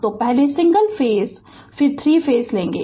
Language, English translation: Hindi, So, we start first single phase then 3 phase right